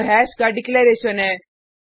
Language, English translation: Hindi, This is the declaration of hash